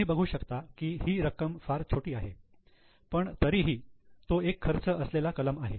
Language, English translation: Marathi, You can see the amount is very small but anyway it is one of the expense items